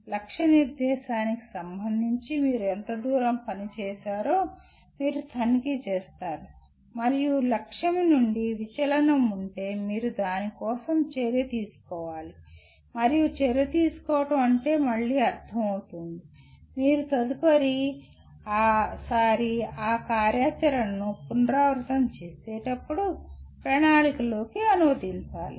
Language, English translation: Telugu, You check how far you have performed with respect to the target set and if there is a deviation from the target then you have to act for that and acting would mean again it has to get translated into plan next time you do the again repeat that activity